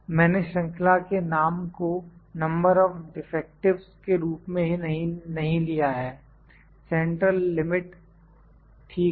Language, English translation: Hindi, I have not picked the series name number defective central limit, ok